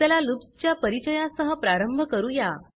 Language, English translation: Marathi, Let us start with the introduction to loops